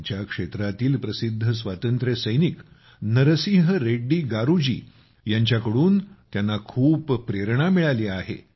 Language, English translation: Marathi, She has been greatly inspired by Narasimha Reddy Garu ji, the famous freedom fighter of her region